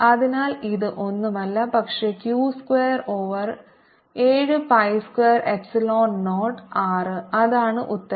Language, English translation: Malayalam, so this answer comes out to be: so this is nothing but q square over seven, pi square epsilon zero r, and that's the answer